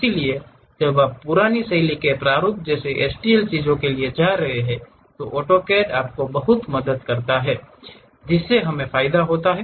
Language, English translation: Hindi, So, when you are going for old style formats like STL things, AutoCAD really enormous help it gives us a advantage